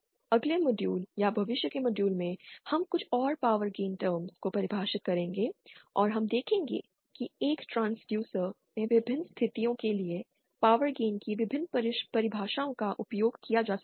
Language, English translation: Hindi, In the next modules or future models, we will be defining some more power gain terms and we will see that for various situations in a transducer, various definitions of power gain can be used